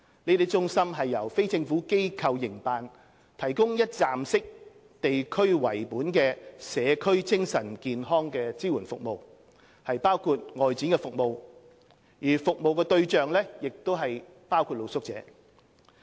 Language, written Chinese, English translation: Cantonese, 這些中心由非政府機構營辦，提供一站式、地區為本的社區精神健康支援服務，包括外展服務，服務對象包括露宿者。, These ICCMWs operated by NGOs provide one - stop district - based community mental health support services including outreaching services . Target service recipients include among others street sleepers